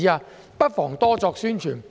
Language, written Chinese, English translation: Cantonese, 政府不妨多作宣傳。, The Government may as well do more publicity